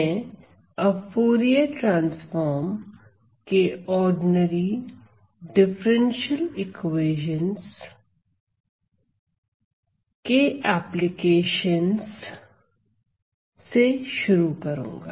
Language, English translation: Hindi, So, I will start with my applications of Fourier transforms to ordinary differential equations